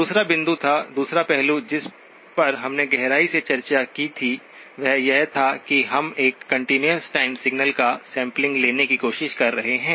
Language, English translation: Hindi, The second point or the other aspect that we had discussed at, in depth, was that we are trying to sample a continuous time signal